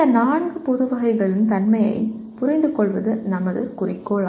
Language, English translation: Tamil, That is the understanding the nature of these four general categories is our objective